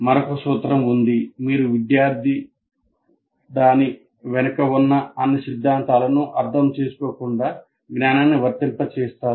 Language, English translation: Telugu, And sometimes there is also a principle you make the student apply the knowledge without understanding all the theory behind it